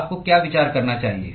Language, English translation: Hindi, What should you consider